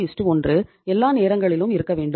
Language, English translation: Tamil, 33 1 has to be there all the times